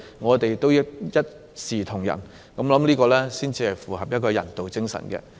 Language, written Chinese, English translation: Cantonese, 我們應一視同仁對待，這樣才符合人道精神。, We should adhere to the humanitarian spirit and extend equal treatment to all of them